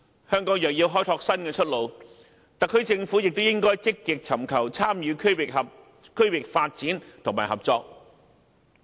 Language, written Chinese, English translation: Cantonese, 香港若要開拓新出路，特區政府便應積極尋求參與區域發展和合作。, If Hong Kong is to find a new way out the SAR Government should actively seek to participate in regional development and cooperation